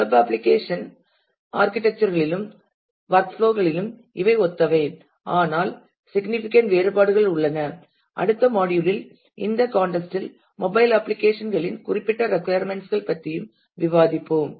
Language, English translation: Tamil, And these are similar in architecture and workflow as of the web application, but there are significant differences to and at a later point in the next module, we will discuss about the specific requirements of mobile apps in this context as well